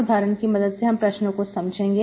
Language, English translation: Hindi, Example of a problem, so we can understand